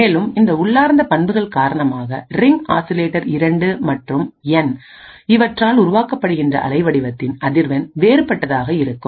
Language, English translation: Tamil, And because of these intrinsic properties the frequency of the waveform generated by the ring oscillators 2 and N would be different